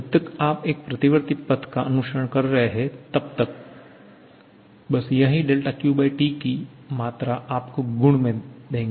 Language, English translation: Hindi, As long as you are following a reversible path, just this del Q/T this quantity is going to give you the change in property